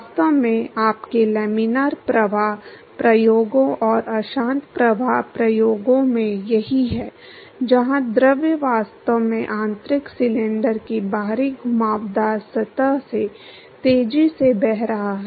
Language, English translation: Hindi, In fact, that is what you have in your laminar flow experiments and turbulent flow experiments, where the fluid is actually flowing fast the external curved surface of the interior cylinder